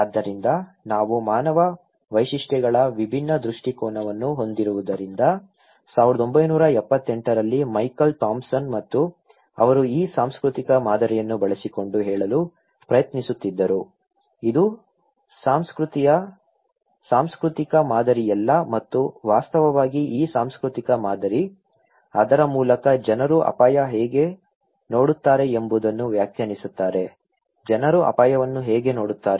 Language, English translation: Kannada, So, because we have different perspective of human features so, Michael Thomson in 1978 and he was trying to say using this cultural pattern that it is not the cultural pattern that exists and also this cultural pattern actually, through it defines that how people see the risk okay, how people see the risk